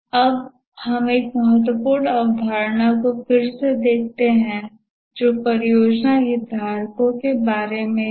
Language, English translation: Hindi, Now let us look at a important concept again which is about project stakeholders